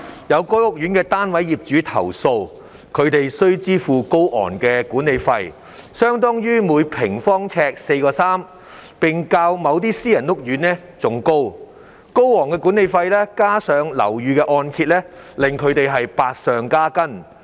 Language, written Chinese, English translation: Cantonese, 有該屋苑的單位業主投訴，他們須支付高昂的管理費，相當於每平方呎4元3角，並較某些私人屋苑還要高；高昂的管理費加上樓宇按揭還款，令他們百上加斤。, Some unit owners of that housing court have complained that they have to pay exorbitant management fees which amount to 4.3 per square foot and are even higher than those of certain private housing courts . The exorbitant management fees coupled with property mortgage repayments have aggravated their financial burden